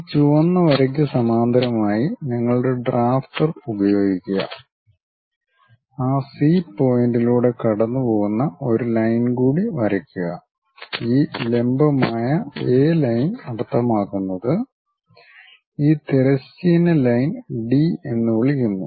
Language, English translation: Malayalam, Then use your drafter parallel to this red line, draw one more line passing through that point C wherever this perpendicular A line means this horizontal line call it D